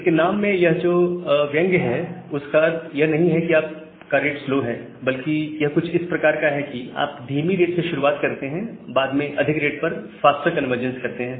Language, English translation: Hindi, Now, this is the irony in the name that slow start does not mean that your rate is not your rate is slow, it is just like that, you are starting from a slower rate rate and making a faster convergence to the high rate